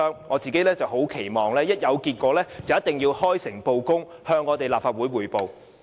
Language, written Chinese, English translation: Cantonese, 磋商一旦有結果，政府便要開誠布公，向立法會匯報。, Should any results be reached the Government should make public and report them to this Council